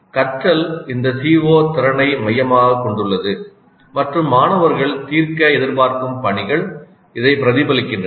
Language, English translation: Tamil, Learning is focused around this CO competency and the tasks students are expected to solve reflect this